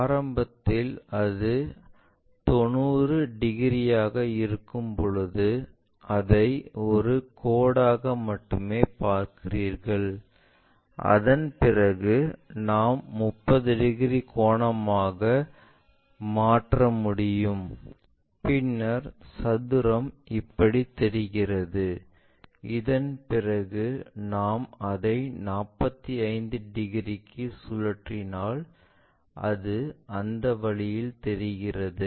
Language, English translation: Tamil, Initially, when it is 90 degrees you just see it likeonly a line after that we can make it into a 30 degree angle then the square looks like this and after that if we are flipping it by 45 degrees it looks in that way